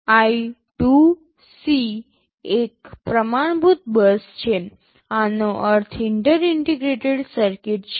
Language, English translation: Gujarati, I2C is a standard bus, this means Inter Integrated Circuit